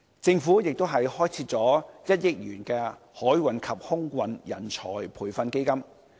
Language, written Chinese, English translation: Cantonese, 政府亦開設了1億元的海運及空運人才培訓基金。, In a similar vein the Government has set up the 100 million Maritime and Aviation Training Fund